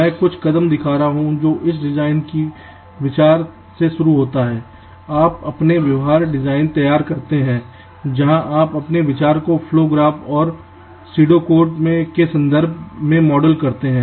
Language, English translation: Hindi, i am showing some steps which, starting from a design idea, you first carry out behavioral design, where you model your idea in terms of flow graphs and pseudo codes